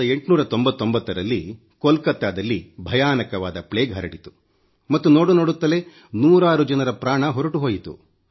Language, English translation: Kannada, In 1899, plague broke out in Calcutta and hundreds of people lost their lives in no time